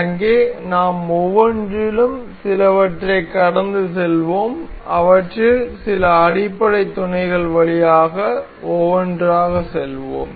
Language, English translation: Tamil, So, there one, we will go through each of them some, we will go through some elementary mates of them out of these one by one